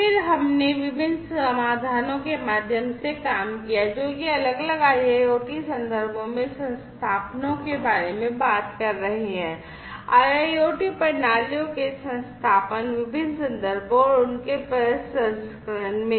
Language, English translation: Hindi, And then we worked through different solutions, that are talking about installations in different IIoT contexts installations of IIoT systems, in different contexts and their processing